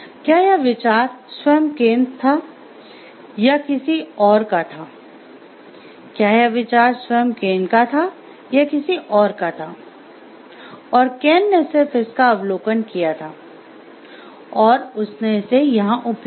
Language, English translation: Hindi, Was it Ken himself or it was a somebody else and Ken has observed that and he has used it over here